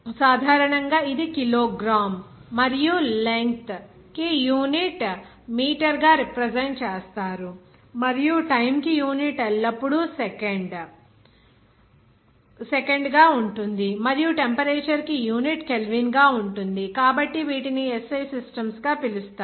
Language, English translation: Telugu, Generally, it is represented by kilogram and length it is represented by meter and the unit for time always it will be time second and also the temperature it would be in terms of Kelvin so SI systems are calling like this